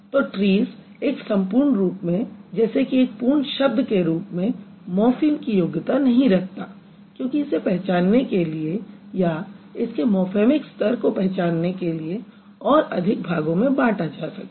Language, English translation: Hindi, So, this trees as a whole, like the entire word, does not qualify to be a morphem in that sense because it has to be broken into some more paths to identify that or to recognize the morphemic status of it